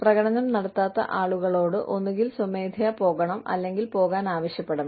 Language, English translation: Malayalam, People, who were not performing, should either leave on their own, or be, asked to leave